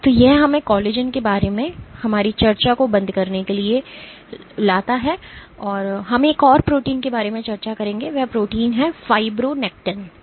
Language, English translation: Hindi, So, that brings us to close on our discussion about collagen, we would discuss about one more protein, so I do not have much time today I will just introduce this protein is fibronectin